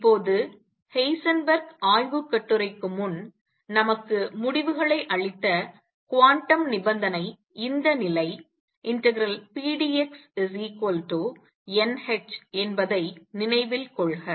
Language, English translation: Tamil, Now, recall that the quantum condition that gave us results before Heisenberg paper was this condition pdx equals n h